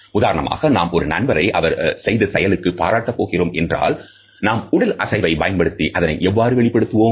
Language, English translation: Tamil, For example, if we have to appreciate a friend for something he or she has just done what exactly do we do with the help of our bodily gestures